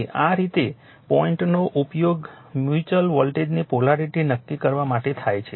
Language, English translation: Gujarati, So, so this way dots are used to determine the polarity of the mutual voltage using this dot